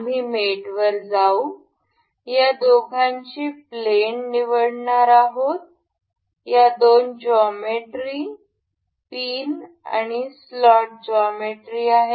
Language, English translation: Marathi, We will go to mate, we will select the planes of these two with these are the two geometry the pin and the slot geometry